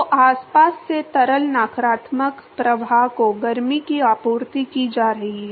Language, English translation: Hindi, So, heat is being supplied from the surrounding to the fluid negative flux